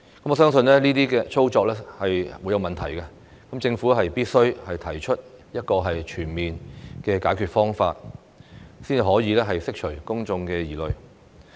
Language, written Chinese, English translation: Cantonese, 我相信這些操作會產生問題，政府必須提出一個全面的解決方案，才可以釋除公眾疑慮。, I believe these operational issues will give rise to problems . The Government must put forward a comprehensive solution so as to address public concerns